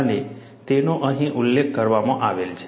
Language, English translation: Gujarati, And that is what is mentioned here